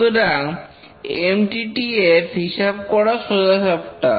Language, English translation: Bengali, So, computing the MTTF is straightforward